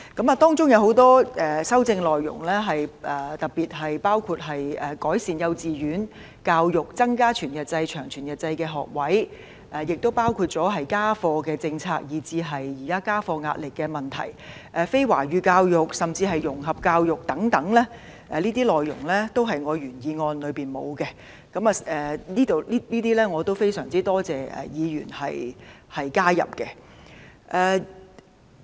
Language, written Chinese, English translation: Cantonese, 其中修正案的內容，特別是改善幼稚園教育，增加全日制及長全日制學額，包括家課政策、家課壓力的問題，以及非華語教育，甚至融合教育等，這些內容都是原議案所沒有，因此我非常多謝各位議員把它們都加入了。, Regarding the proposals raised in the amendments in particular those related to improving kindergarten education increasing whole - day and long whole - day kindergarten places formulating a policy on homework addressing the problem of homework pressure as well as education for non - Chinese speaking students and integrated education etc they cannot be found in the original motion . Hence I greatly thank Members for adding in such contents